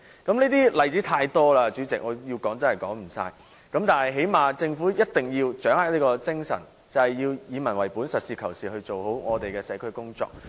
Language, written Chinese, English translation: Cantonese, 這些例子太多了，主席，我要說也說不完，但最低限度政府必須掌握以民為本的精神，實事求是做好社區工作。, We have too many cases like this President and I cannot mention them all . I think the Government should at least uphold the people - oriented spirit and handle community work in a practical manner